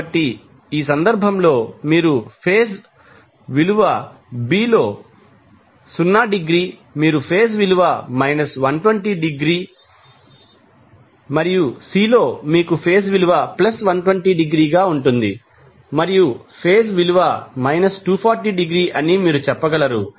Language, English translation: Telugu, So, in this case you will see phase value is 0 degree in phase B, you will have phase value minus 120 degree and in C you will have phase value as plus 120 degree, and you can say phase value is minus 240 degree